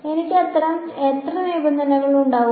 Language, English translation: Malayalam, How many such terms will I have